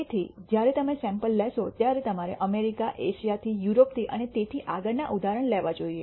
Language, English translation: Gujarati, So, when you take samples you should take examples from let us say America, from Europe from Asia and so on, so forth